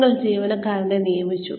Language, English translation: Malayalam, You hired the employee